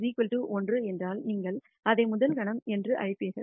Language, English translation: Tamil, If k equals 1, you will call it the rst moment